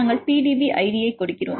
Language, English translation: Tamil, So, you can we give the PDB id